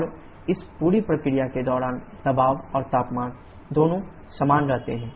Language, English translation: Hindi, And during this entire process both pressure and temperature remains same